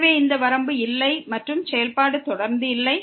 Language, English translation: Tamil, Hence, this limit does not exist and the function is not continuous